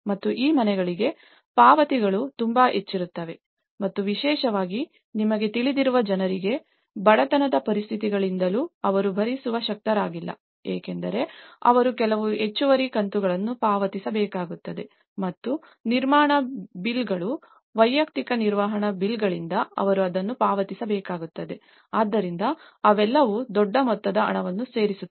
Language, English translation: Kannada, And the payments for these houses often they are too high and especially, for the people you know, they are not able to afford, so that is where it was since the conditions of the poverty because they have to end up paying some extra instalments and they also have to pay it from maintenance bills, individual maintenance bills so, they all add up to a big sum of money